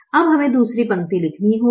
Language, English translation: Hindi, now we have to write this row